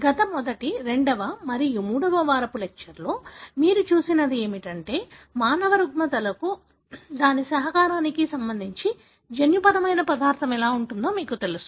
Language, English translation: Telugu, What you have seen in the last first, second and third week lectures is how the genetic material is, you know, sort of understood with regard to its contribution to human disorders